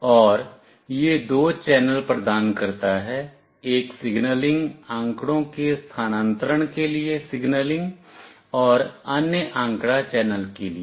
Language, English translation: Hindi, And it provides two channels, one for signaling for transfer of signaling data, and other for data channel